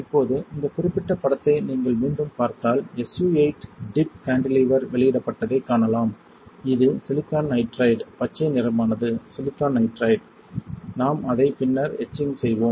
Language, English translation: Tamil, Now, if you see this particular image again you can see SU 8 tip cantilever is released, this is silicon nitride, green one is silicon nitride we will etch it later on